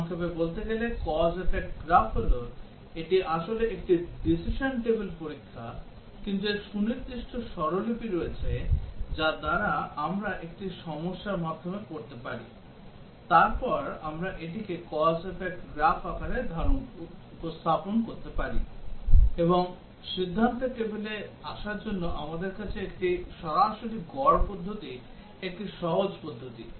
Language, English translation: Bengali, The cause effect graph to tell in brief is that it is a decision table testing actually, but it has specific notations by which we can by reading through a problem, we can then represent it in the form of a cause effect graph, and we have a straight average method a straightforward method for coming up with the decision table